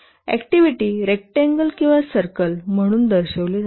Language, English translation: Marathi, The activities are represented as rectangles or circles